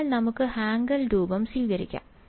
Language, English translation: Malayalam, So, let us let us assume the Hankel form